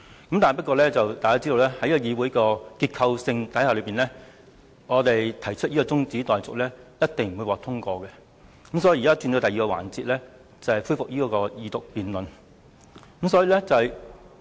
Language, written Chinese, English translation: Cantonese, 然而，大家也知道在議會現有結構下，我們提出的中止待續議案必定不會獲得通過，所以我們現在才進入另一環節，就是恢復《條例草案》的二讀辯論。, For these reasons I supported the adjournment of the debate . However Members know that under the existing composition of the legislature motions of adjournment proposed by us will definitely be negatived . As a result we are now in the first session the debate on the resumed Second Reading of the Bill